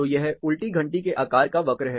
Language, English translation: Hindi, So, this is the inverse bell shape curve